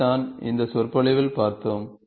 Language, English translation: Tamil, This is what we saw in this lecture